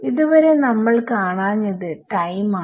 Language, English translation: Malayalam, One thing we are missing so far is time